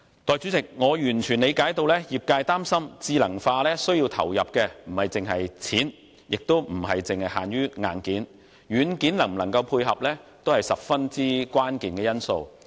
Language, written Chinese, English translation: Cantonese, 代理主席，我完全理解到，業界擔心智能化需要投入的不止是金錢，亦不止限於硬件，軟件能否配合也是十分關鍵的因素。, Deputy President I totally understand the concern of the industry that intelligent process does not only require money and hardware software development is also a crucial factor